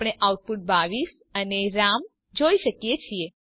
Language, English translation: Gujarati, We see the output 22 and Ram